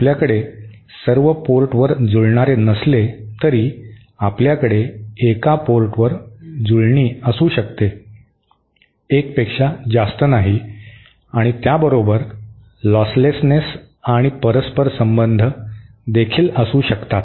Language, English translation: Marathi, So, while we cannot have matching at all ports, we can have matching at one port, not more than 1 and along with that we can also have losslessness and reciprocity